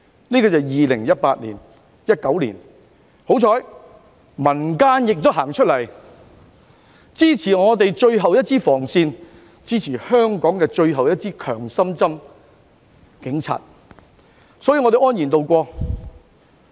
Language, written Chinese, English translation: Cantonese, 這是2018年至2019年的事，幸好民間人士走出來支持我們的最後一道防線、最後一支強心針——警察，所以我們便安然渡過。, This was what happened between 2018 and 2019 . Thanks to people from the community who rose in support of our last line of defence and the last shot in the arm―the Police we safely tided over the unrest